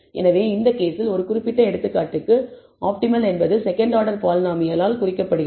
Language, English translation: Tamil, So, the optimal in this case is also indicated as a second order polynomial is best for this particular example